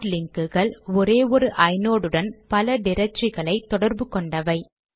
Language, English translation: Tamil, Hard links are to associate multiple directory entries with a single inode